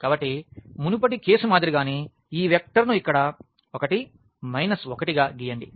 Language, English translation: Telugu, So, similar to the previous case let us draw this vector here 1 minus 1